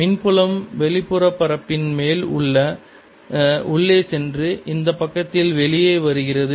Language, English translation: Tamil, the electric field is going in on the outer surface right and coming out on this side